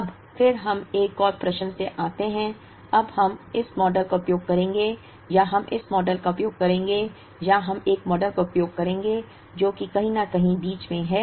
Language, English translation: Hindi, Now, then we get into another question, now would we use this model or would we use this model or would we use a model that is somewhere in between